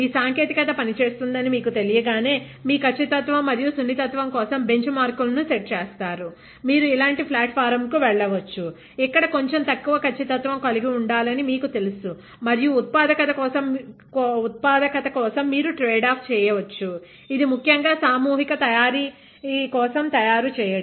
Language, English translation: Telugu, Once you know your technology is working, you set benchmarks for your accuracy and sensitivity; you can move on to a platform like this, where you know that it is to have a slightly lesser accuracy and which you can tradeoff for manufacturability, this is easy to manufacture especially for mass manufacturing